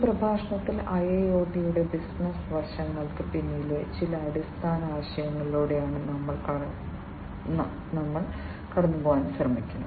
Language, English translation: Malayalam, So, in this lecture, what we are going to go through are some of the fundamental concepts, behind the business aspects of IIoT